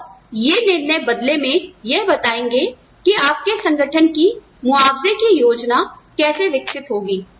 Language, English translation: Hindi, And, these decisions, will in turn determine, how the compensation plan for your organization develops